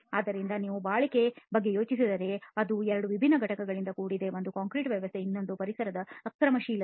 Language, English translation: Kannada, So if you think about durability it is made up of two distinct components one is the concrete system itself and the other is the aggressiveness of the environment